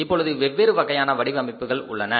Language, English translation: Tamil, Today we have multiple different type of the designs of the cars